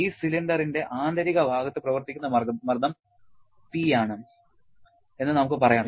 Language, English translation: Malayalam, The pressure that is acting on the inner side of this cylinder is let us say is P